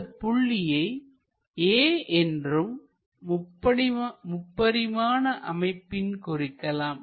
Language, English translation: Tamil, So, this point let us call A, somewhere in the 3 dimensions